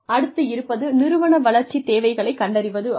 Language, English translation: Tamil, Identify organizational development needs